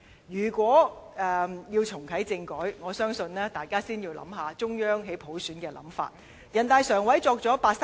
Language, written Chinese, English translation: Cantonese, 如要重啟政改，我相信大家要先考慮中央對普選的想法。, If we are to reactivate constitutional reform I believe Members have to first consider how the Central Authorities think of universal suffrage